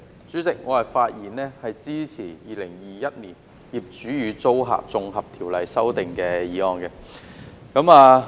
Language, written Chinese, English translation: Cantonese, 主席，我發言支持《2021年業主與租客條例草案》。, President I speak to support the Landlord and Tenant Amendment Bill 2021 the Bill